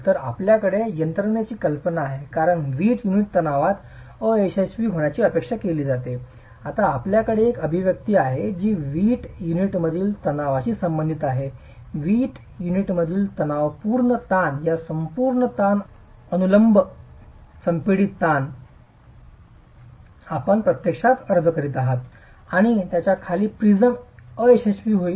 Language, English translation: Marathi, Since the brick unit is expected to fail in tension, we now have an expression that relates the stress in the brick unit, the tensile stress in the brick unit to this overall stress, the vertical compressive stress that you are actually applying and under which the prism is going to fail